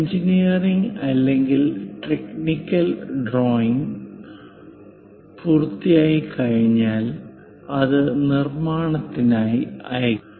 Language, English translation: Malayalam, Once engineering or technical drawing is done, it will be sent it to production and that drawing will be called working drawings